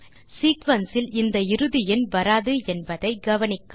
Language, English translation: Tamil, Note that the sequence does not include the ending number